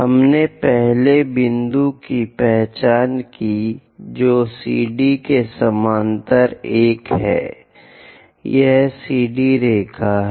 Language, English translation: Hindi, We have identified the first point is 1 parallel to CD